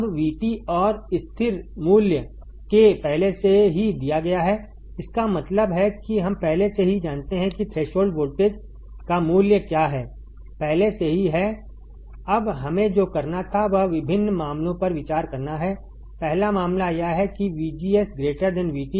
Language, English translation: Hindi, Now, V T and constant k is already given; that means, that we already know what is value of threshold voltage is already there, now what we had to do is consider different cases right first case is that VGS is greater than V T